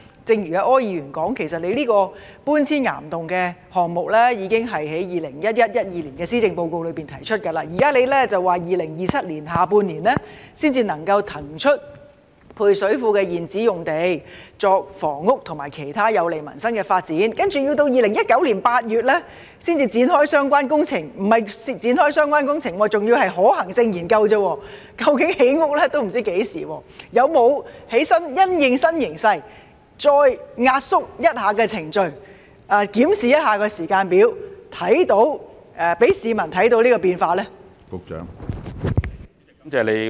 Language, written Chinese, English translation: Cantonese, 正如柯議員提到，其實局方這個把配水庫搬遷往岩洞的項目在 2011-2012 年度施政報告已提出，現在局長表示要在2027年下半年才能夠騰出配水庫現址用地作房屋和其他有利民生的發展；接着要到2019年8月才會展開相關工程——不是展開相關工程，只是可行性研究而已，也不知道何時才能興建房屋——當局是否有因應新形勢，再壓縮程序，檢視時間表，讓市民看到變化呢？, As Mr OR has mentioned the project of relocating the service reservoirs to caverns was already proposed in the 2011 - 2012 Policy Address but the Secretary now said that the site of the service reservoirs could only be released for housing and other uses beneficial to peoples livelihood in the second half of 2027 and the relevant works would not commence until August 2019―not the relevant works but only the feasibility study . It is not known when housing can be constructed . Have the authorities in light of the new situation further compressed the procedures and reviewed the timetable so that the public can see the changes?